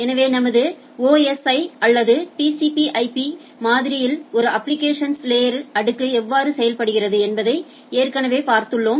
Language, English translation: Tamil, So, already you have seen that how a application layer in our OSI or TCP/IP model works